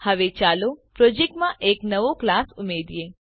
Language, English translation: Gujarati, Now let us add a new class to the project